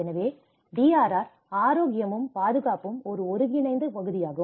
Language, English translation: Tamil, So, that is how health and safety is an integral part of the DRR